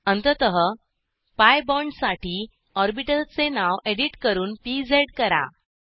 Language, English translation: Marathi, Finally for the pi bond, edit the name of the orbital as pz